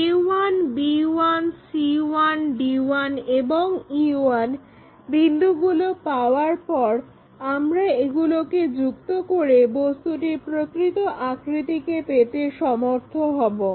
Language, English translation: Bengali, Once we have these points a, b 1, c 1, d 1 and e 1, we connect it to get the true shape or original shape of that object